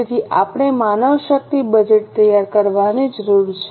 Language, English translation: Gujarati, So, we need to prepare manpower budget